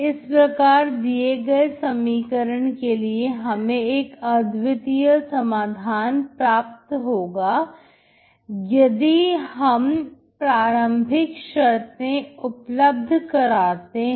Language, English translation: Hindi, This equation will have a unique solution, if you provide initial conditions